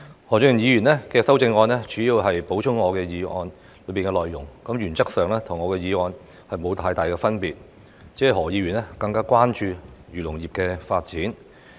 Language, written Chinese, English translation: Cantonese, 何俊賢議員的修正案主要是補充我的議案內容，原則上與我的議案沒有太大分別，他只是更關注漁農業的發展。, The amendment of Mr Steven HO simply supplements my motion . In principle his amendment does not differ greatly from my motion but he only pays more attention to the development of agriculture and fisheries industries